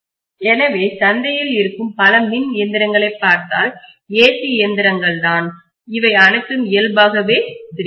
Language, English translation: Tamil, So if you look at many of the electrical machines that are available in the market, AC machines, they are all three phase in nature